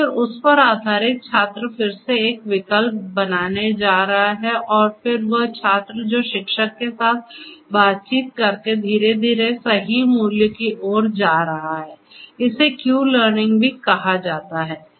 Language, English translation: Hindi, And, then based on that the student is again going to make a choice and then the student who is going to gradually converge towards the correct value by interacting with the teacher this is also known as Q learning